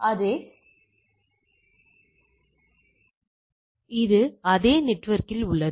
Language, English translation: Tamil, So, it is in the same network